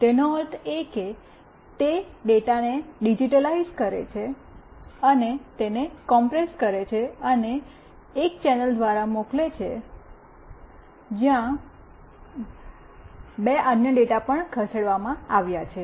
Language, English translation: Gujarati, It means that it digitizes the data, compresses it, and sends through a channel where two other data are also moving